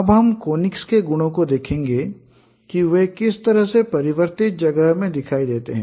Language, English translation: Hindi, Now we will look at the properties of conics how they appear in the transformed space